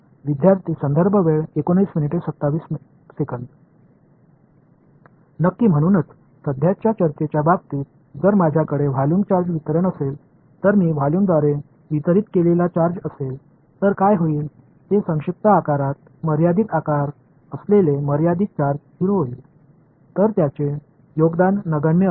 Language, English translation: Marathi, Exactly; so, just like in the case of the current discussion if I had a volume charge distribution a charge that is distributed through the volume then what will happen is the finite charge residing in a volume that is shrinking to 0; so its contribution will be negligible